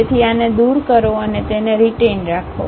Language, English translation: Gujarati, So, remove this and retain that